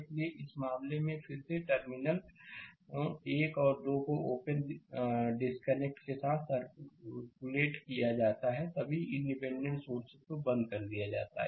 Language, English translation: Hindi, So, in this case, your again terminals 1 and 2 are open circuited with the load disconnected and turned off all the independent sources